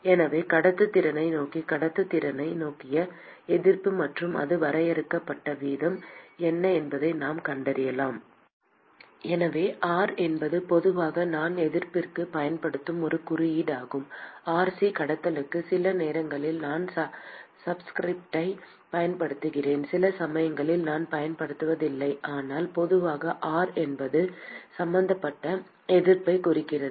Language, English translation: Tamil, So, we can find out what is the resistance offered to towards conduction towards conduction and the way it is defined is So, R is generally is a symbol I will use for resistance, Rc for conduction sometimes I use a subscript, sometimes I do not, but generally R means the resistance which is involved